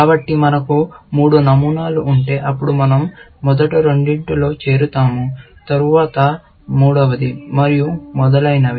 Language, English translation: Telugu, So, if we have three patterns, then we will first join two, and then, the third one, and so on